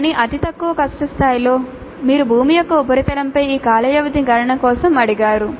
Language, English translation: Telugu, But in the lowest difficulty level, it just asked for this time period calculation on the surface of the earth